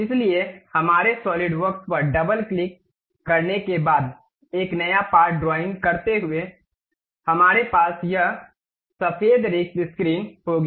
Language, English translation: Hindi, So, after double clicking our Solidworks, opening a new part drawing we will have this white blank screen